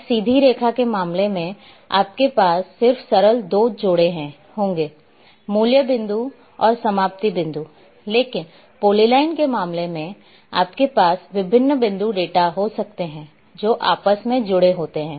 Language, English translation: Hindi, In case of a straight line you will have just simple two pairs; begin point and end point, but in case of a polyline you may have various point data which are interconnecting